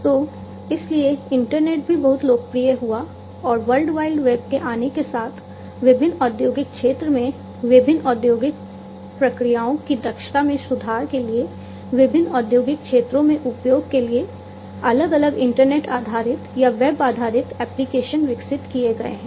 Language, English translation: Hindi, So, that is why the internet also became very popular and also with the emergence of the World Wide Web, different, you know, internet based or web based applications have been developed for use in the different industrial sectors to improve the efficiency of the different industrial processes